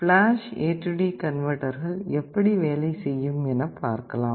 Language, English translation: Tamil, Let us see how flash AD converter looks like and how it works